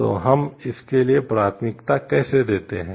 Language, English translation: Hindi, So, how do we prioritize for it